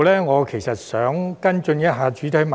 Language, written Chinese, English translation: Cantonese, 我想在此跟進一下主體質詢。, I would like to follow up the main question here